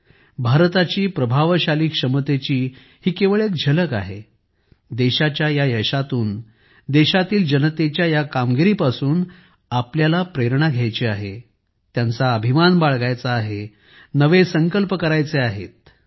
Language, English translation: Marathi, This is just a glimpse of how effective India's potential is we have to take inspiration from these successes of the country; these achievements of the people of the country; take pride in them, make new resolves